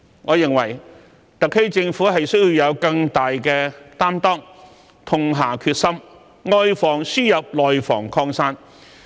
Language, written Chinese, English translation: Cantonese, 我認為特區政府需要以更大擔當，痛下決心，外防輸入，內防擴散。, I consider it necessary for the SAR Government to prevent the importation of cases and the spreading of domestic infections with greater commitment and determination